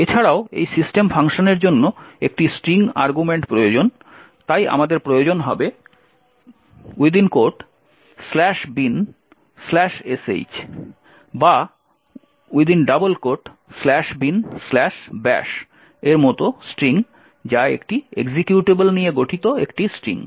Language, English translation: Bengali, Also what is required is a string argument to this system function, so we will require string such as /bin/sh or /bin/bash, which is a string comprising of an executable